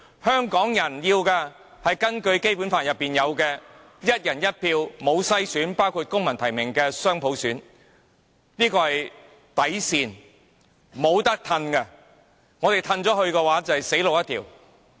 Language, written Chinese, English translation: Cantonese, 香港人要的是根據《基本法》訂明的"一人一票"的選舉，包括由公民提名的雙普選，而且不用篩選，這是底線，不可退讓。, The Hong Kong people are asking for elections conducted on a one person one vote basis as stipulated in the Basic Law including the dual universal suffrage by civil nomination without screening . This is our bottom line and no compromise can be made for this